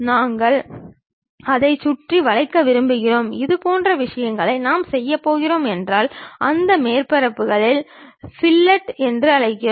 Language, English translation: Tamil, We want to round it off, such kind of thing if we are going to do we call fillet of that surfaces